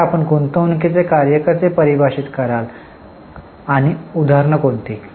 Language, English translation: Marathi, Now how will you define investing activities and what are the examples